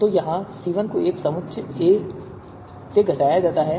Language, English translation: Hindi, So here C1 is subtracted subtracted from the set A